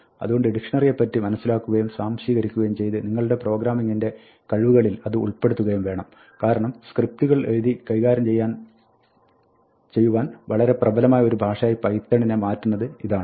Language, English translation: Malayalam, So, you should understand and assimilate dictionary in to your programming skills, because this is what makes python really a very powerful language for writing scripts to manipulate it